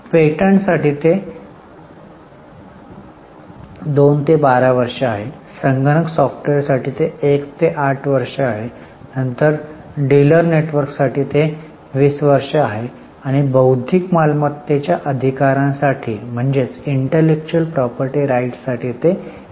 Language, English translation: Marathi, So, for patents it is 2 to 12 years, for computer software it is 1 to 8 years, then for dealer network it is 20 years and for intellectual property rights it is 3 to 10 years